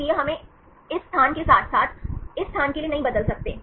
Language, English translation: Hindi, So, we cannot change this, for this place as well as this place